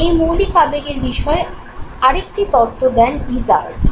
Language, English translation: Bengali, The second attempt to identify basic emotion was made by Izard